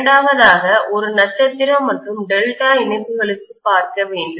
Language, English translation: Tamil, The second one is for star as well as delta connections